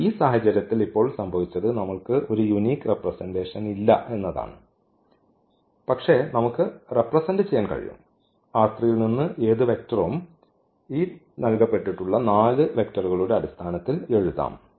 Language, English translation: Malayalam, But what happened now in this case we do not have a unique representation, but we can represented, we can write down any vector from this R 3 in terms of these given four vectors